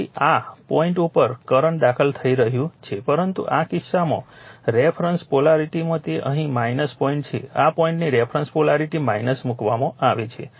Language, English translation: Gujarati, So, current is entering into this dot right, but in this case in a reference polarity here it is minus dot is this dot is placed to a reference polarity minus